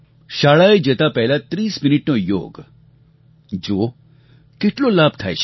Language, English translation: Gujarati, The practice of Yoga 30 minutes before school can impart much benefit